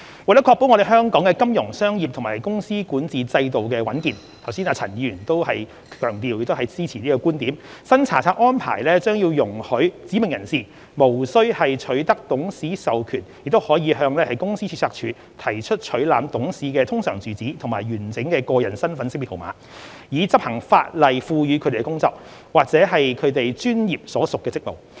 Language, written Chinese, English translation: Cantonese, 為確保香港的金融、商業及公司管治制度的穩健，剛才陳振英議員亦有強調並支持這個觀點，新查冊安排將容許"指明人士"無須取得董事授權亦可向公司註冊處提出取覽董事的通常住址及完整個人身份識別號碼，以執行法例賦予他們的工作，或其專業所屬的職務。, Just now Mr CHAN Chun - ying has emphasized and supported the view that we must ensure the robustness of Hong Kongs financial commercial and corporate governance systems . To achieve this the new inspection regime will allow specified persons to apply to the Companies Registry for access to directors URAs and full IDNs without the authorization of the directors concerned for the purpose of performing statutory functions or professional duties